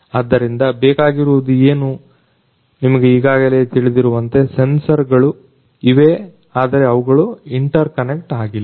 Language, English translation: Kannada, So, what is required as you know already that the sensors are there but they are not interconnected